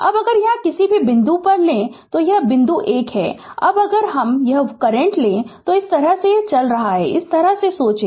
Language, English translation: Hindi, Now, if you take at any point any point here say this point is a, now if I take one current is going like this just, you think like this